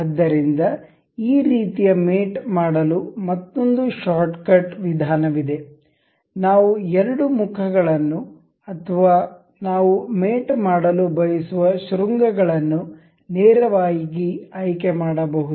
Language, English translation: Kannada, So, there is another shortcut method for doing this kind of mate is we can select directly select the two options the two faces or the vertices that we want to mate